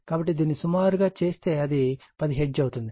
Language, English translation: Telugu, So, this will be approximately 10 hertz